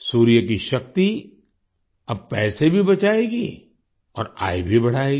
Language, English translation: Hindi, The power of the sun will now save money and increase income